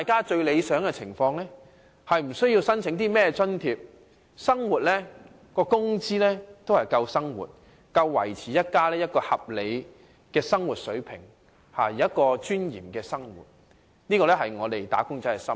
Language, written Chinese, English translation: Cantonese, 最理想的情況是無須申請任何津貼，工資已足以應付生活所需，足以維持家庭合理的生活水平，能夠有尊嚴地生活，這是"打工仔"的心願。, The best situation is that they do not need to apply for any subsidies but have sufficient wages to meet the needs of daily life to maintain a reasonable living standard of the families and to live with dignity . This is what wage earners want